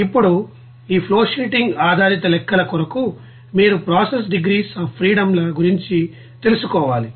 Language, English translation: Telugu, Now for this flowsheeting based calculations you need to know about that process degrees of freedom